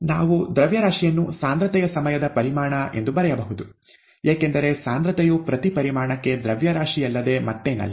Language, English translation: Kannada, We can write mass as nothing but concentration times volume, because concentration is nothing but mass per volume, right